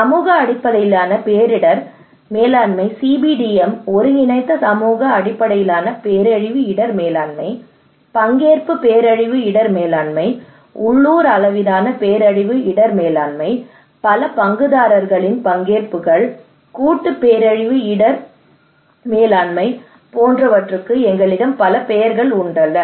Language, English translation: Tamil, We give it so many names for example community based disaster risk management CBDM, integrated community based disaster risk management, participatory disaster risk management, local level disaster risk management, multi stakeholder participations, collaborative disaster risk management they all are considered to be participatory, but they have a different name